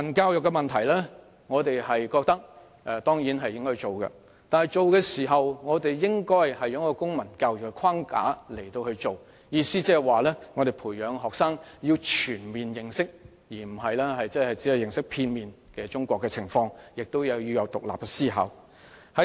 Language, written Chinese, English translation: Cantonese, 對於國民教育，我們當然認為應要推行，但卻應在公民教育的框架下推行，意思是培養學生全面而非片面認識中國情況，同時亦要有獨立思考。, Concerning national education we certainly agree to its implementation but it should be implemented under the framework of civic education which means fostering students understanding of the situation of China on all fronts rather than just partially while developing in students the ability of independent thinking